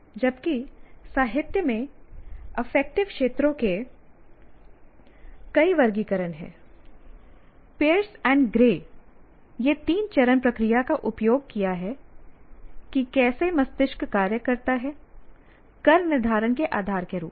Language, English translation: Hindi, So what happens is while there are several taxonomies of affective domains in the literature, Pierce and Gray, they use these three step process of how brain functions as a basis for creating taxonomy